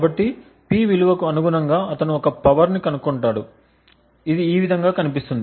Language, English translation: Telugu, So, corresponding to the P value he gets a power traced which looks something like this